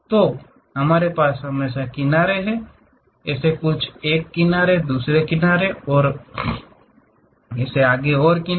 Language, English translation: Hindi, So, we always be having edges; something like this is one edge, other edge and this one is another edge and so on